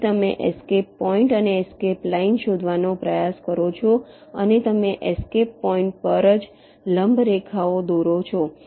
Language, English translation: Gujarati, so you try to find out escape point and escape line and you draw the perpendicular lines only at the escape points